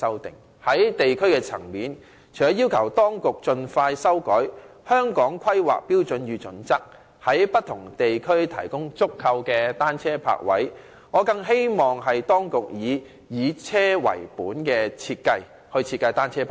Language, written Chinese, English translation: Cantonese, 在地區層面，除了要求當局盡快修改《香港規劃標準與準則》，在不同地區提供足夠的單車泊位外，我更希望當局可以按"以車為本"的原則設計單車泊位。, At the district level I request that the Hong Kong Planning Standards and Guidelines be revised expeditiously and adequate bicycle parking spaces be provided in various districts . What is more I hope that bicycle parking spaces can be designed according to the vehicle - oriented principle